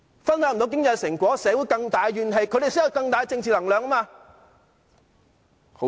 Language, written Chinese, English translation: Cantonese, 分享不到經濟成果，社會有更大怨氣，他們才有更大政治能量。, When Hong Kong people cannot share the economic fruits there will be more grievances in society and opposition Members will have more political strength